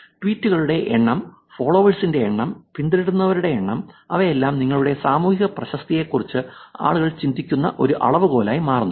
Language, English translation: Malayalam, These are becoming a measure of influence in the society, number of tweets, number of followers, number of followings, all of them become a measure by which people think of your social reputation